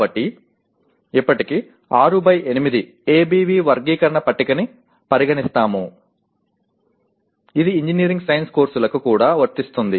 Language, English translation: Telugu, So what happens as of now we will consider 6 by 8 ABV taxonomy table is applicable to engineering science courses as well